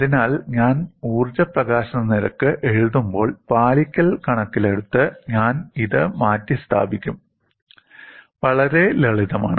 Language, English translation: Malayalam, So, when I write energy release rate, I would replace this in terms of the compliance; fairly simple